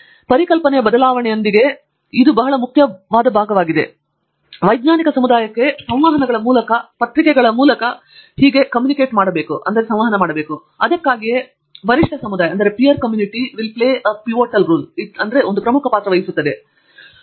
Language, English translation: Kannada, Just with a change of perceptive and that is a very important part and then comes sharing it, communicating it to the scientific community, through conferences, through papers and so on and that is why the peer community plays a very important role